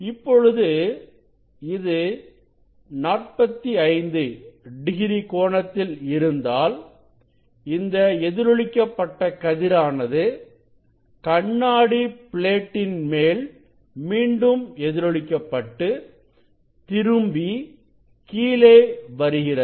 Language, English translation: Tamil, If it is at 45 degree then this reflected ray again it is reflected from this glass plate and come down, ok, it is come down